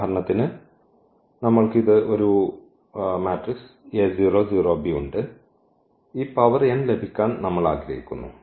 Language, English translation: Malayalam, So, for instance we have this a 0 0 b and we want to get this power n there